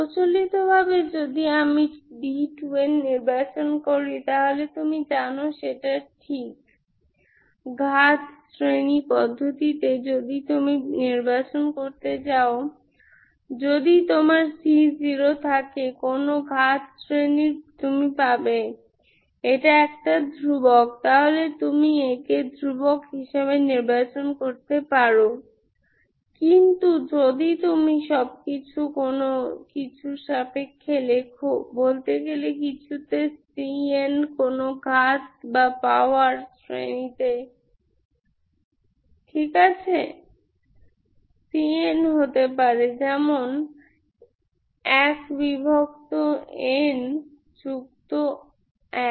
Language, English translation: Bengali, Conventionally if I choose my d 2 n, so you know that, right, in the power series method, you can all, if you want to choose, if you have a c zero of some power series you get, this is a constant, so you can choose this as a constant number, but if you have, if you write everything in terms of some, say, in some, c n into some power series, Ok, known power series into c n